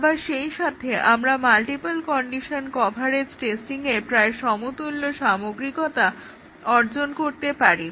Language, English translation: Bengali, But, at the same time we achieve as much, almost as much thorough testing as the multiple condition coverage testing